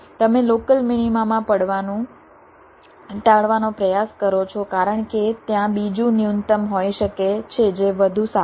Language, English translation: Gujarati, you try to try to avoid from falling into the local minima because there can be another minimum which is even better